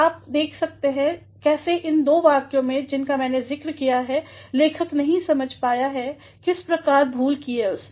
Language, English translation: Hindi, You can have a look at how in the two sentences that I have mentioned, the writer has not been able to understand the sort of error that he has committed